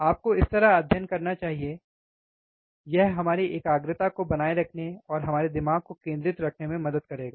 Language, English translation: Hindi, That is how you should study, it will help to keep our concentration and keep our mind focus